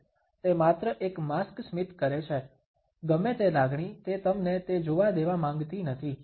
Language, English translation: Gujarati, She smiles just a mask, whatever emotion she does not want you to see it